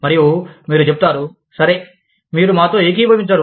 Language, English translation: Telugu, And, you will say, okay, you do not agree with us